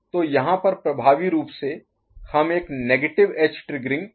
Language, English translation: Hindi, So, effectively you are getting a negative edge triggering over here is not it